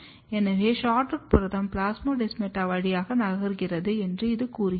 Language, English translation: Tamil, This suggest that SHORTROOT protein is actually moving through the plasmodesmata